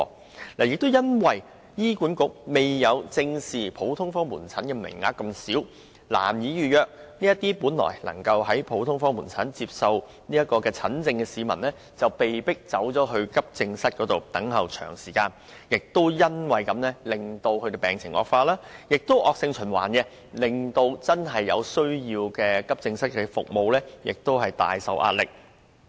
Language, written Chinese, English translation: Cantonese, 此外，由於醫管局未有正視市民因普通科門診名額不足而難以預約診症服務的問題，這些原本能在普通科門診診所接受診治的市民被迫轉往急症室，花頗長時間等候診症服務，卻因而影響真正需要急症室服務的人，造成惡性循環。, Furthermore since the HA does not deal squarely with the problem of insufficient consultation quota that has made it difficult for members of the public to book timeslots for consultation service patients who are supposed to attend GOPCs have to seek consultation from AE departments of public hospitals instead spending far longer time waiting for consultation . But then those who are really in need of AE services are affected and this will inevitably lead to a vicious cycle